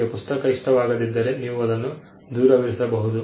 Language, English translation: Kannada, If you do not like the book, you can keep it away